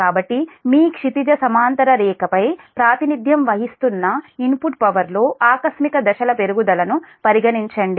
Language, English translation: Telugu, so consider a sudden step increase in input power represented by the, your horizontal line p i